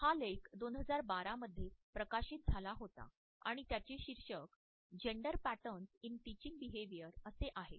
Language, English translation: Marathi, this article was published in 2012 and the title is Gender Patterns in Touching Behavior